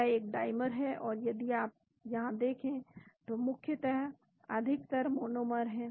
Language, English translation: Hindi, That is a dimer and if you look at here mostly predominantly monomer